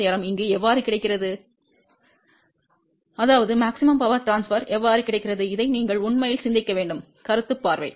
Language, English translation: Tamil, So, how maximum power transfer gets over here, well you have to actually think of this as concept point of view